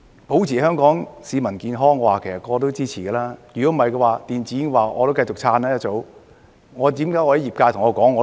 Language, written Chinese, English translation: Cantonese, 保持香港市民健康，人人都會支持，否則我一早會繼續支持電子煙。, To keep Hong Kong people healthy everyone will render their support otherwise I would have supported electronic cigarettes at the very beginning